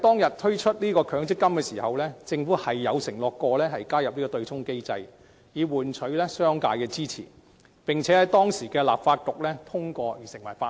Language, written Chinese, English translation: Cantonese, 在推出強積金時，政府確曾承諾加入對沖機制以換取商界的支持，並在當時的立法局通過成為法例。, At the introduction of MPF the Government undertook to include the offsetting mechanism in exchange for support from the business sector . The mechanism was passed by the then Legislative Council and enacted into law